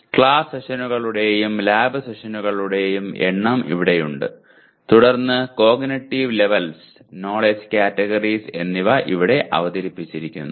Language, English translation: Malayalam, And number of class sessions and lab sessions are here and then cognitive levels and knowledge categories are presented here